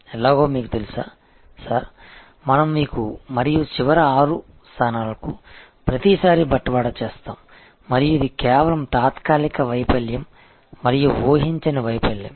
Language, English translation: Telugu, And we have seen that how and you know sir that, we have every time deliver to you and the last six locations and this is just temporary failure and then, unforeseen failure